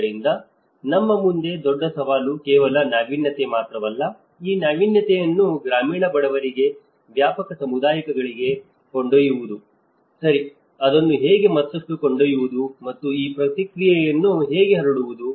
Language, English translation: Kannada, So, in front of us, the biggest challenge is not just only an innovation but taking this innovation to the rural poor to the wider communities, okay so, how to take it further and how to diffuse this process